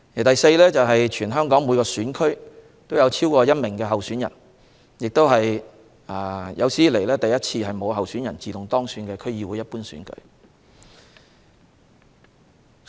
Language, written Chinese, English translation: Cantonese, 第四，全港每個選區都有超過1名候選人，也是有史以來首次區議會一般選舉沒有候選人自動當選。, Fourth there is more than one candidate in each constituency over the territory and this is also the first DC Ordinary Election in history in which no candidates are returned uncontested